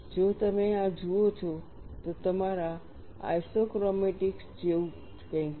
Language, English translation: Gujarati, We look at this, something similar to your isochromatics